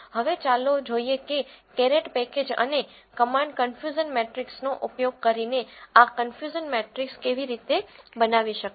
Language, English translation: Gujarati, Now, let us see how to generate this confusion matrix using the caret package and the command confusion matrix